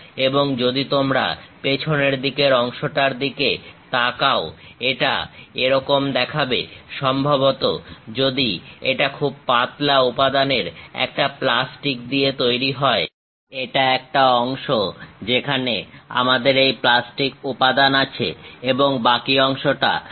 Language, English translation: Bengali, And if you are looking back side part, it looks like; perhaps if it is made with a plastic a very thin material, this is the part where we have this plastic material and the remaining place is empty